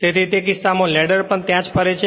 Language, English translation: Gujarati, So, in that case that ladder also moves there